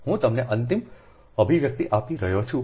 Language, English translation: Gujarati, i am giving you the final expression